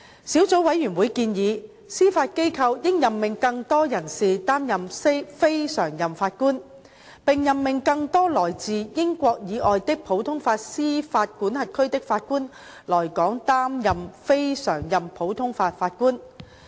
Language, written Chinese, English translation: Cantonese, 小組委員會建議，司法機構應任命更多人士擔任非常任法官，並任命更多來自英國以外的普通法司法管轄區的法官來港擔任非常任普通法法官。, The Subcommittee suggested that the Judiciary should appoint more persons as non - permanent Judges NPJs and appoint more Judges from common law jurisdictions other than the United Kingdom to serve as CLNPJs in Hong Kong